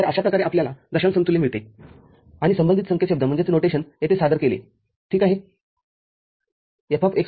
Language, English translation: Marathi, So, this is the way we get the decimal equivalent and the corresponding notation is presented here ok